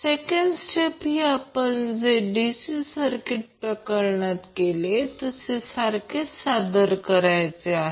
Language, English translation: Marathi, The second step is performed similar manner to what we did in case of DC circuits